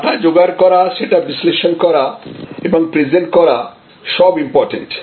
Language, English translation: Bengali, So, data collection, data analysis, data presentation, these are all important